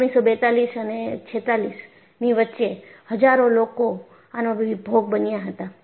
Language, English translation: Gujarati, So, between 1942 and 46, thousands suffered